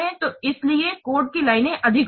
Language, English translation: Hindi, So the lines of code may be different